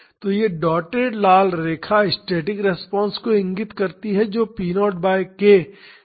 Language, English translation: Hindi, So, this dotted red line indicates the static response that is p naught by k t by tr